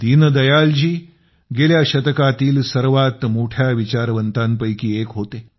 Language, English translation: Marathi, Deen Dayal ji is one of the greatest thinkers of the last century